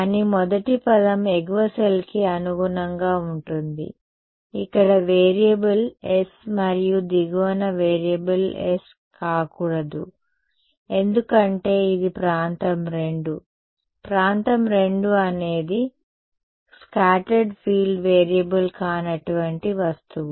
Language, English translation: Telugu, No, but the first term corresponds to upper cell, where the variable is s and the lower one the variable cannot be s because it is region II; region II is the object where scattered field is not a variable